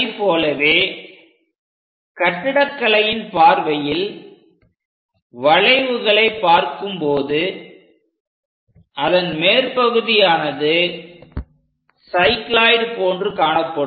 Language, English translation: Tamil, Similarly, if we are looking at arches, for architectural point of view, the top portions make cycloid curves